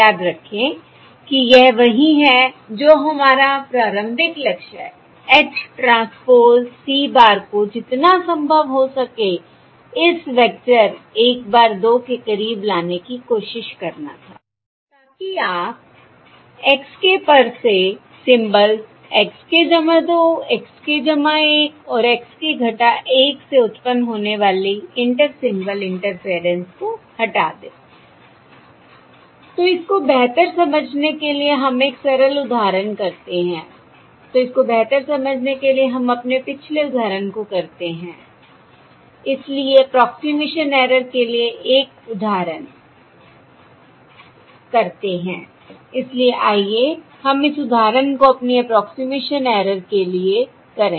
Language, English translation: Hindi, Remember that is that is what our initial goal was: to try to approximate uh, H transpose, C bar as close as possible, to make it as close as possible to this vector one bar two, so that you remove the inter symbol interference form, the symbol XK, that is, inter symbol interference on the symbol XK arising from the symbols XK plus two, XK plus one and XK minus one